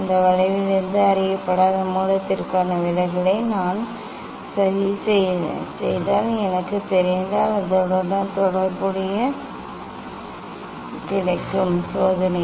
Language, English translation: Tamil, from that curve, if I know the if I plot the deviation for unknown source then, corresponding wavelength I will get this is the experiment